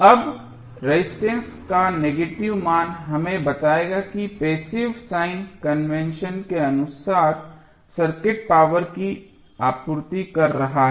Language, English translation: Hindi, Now, the negative value of resistance will tell us that according to the passive sign convention the circuit is supplying power